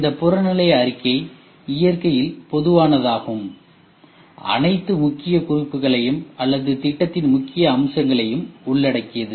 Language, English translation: Tamil, And this objective statement will be generic in nature which captures all the key points or the key features of the project